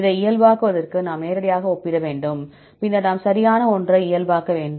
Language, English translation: Tamil, To normalize this, we have to directly compare, then we have to normalize with something right